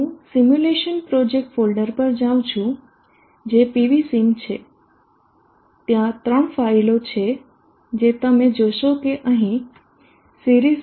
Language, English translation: Gujarati, Let me go to the simulation project folder which is PV cell there are three file that you will see here series